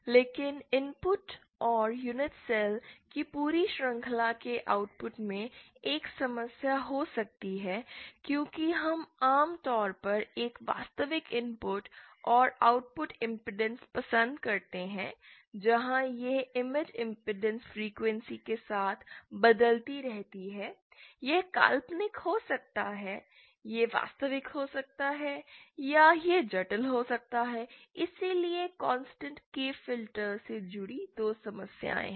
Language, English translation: Hindi, But at the input and the output of the entire chain of unit cells there that might be a problem because we prefer usually a constant real input and output impedance where as this image impedance keeps varying with frequency, it might be imaginary, it might be real or it might be complex, so to